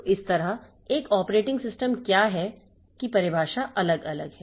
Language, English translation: Hindi, So, that way the definition of what is an operating system so that is going to vary